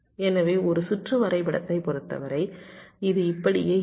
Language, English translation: Tamil, so in terms of a circuit diagram it can look like this